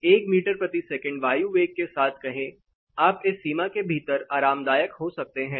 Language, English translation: Hindi, Say with 1 meter per second air velocity, you can be comfortable within this particular boundary